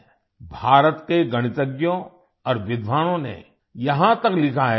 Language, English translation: Hindi, Mathematicians and scholars of India have even written that